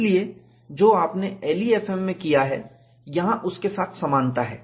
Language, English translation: Hindi, So, there is similarity between what you have done in LEFM